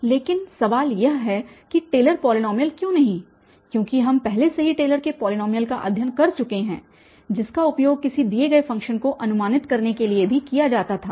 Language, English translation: Hindi, So, but the question is that but why not Taylor’s polynomial, because we have already studied Taylor, Taylor’s polynomial which was also used for approximating a given function